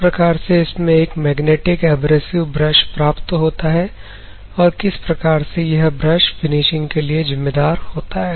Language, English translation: Hindi, Flexible magnetic abrasive brush, how this particular brush is responsible for finishing